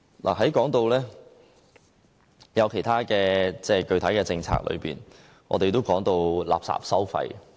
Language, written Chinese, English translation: Cantonese, 我們在說其他具體政策時，都說到垃圾徵費。, When we talk about other specific policies we will at once think of the waste charging scheme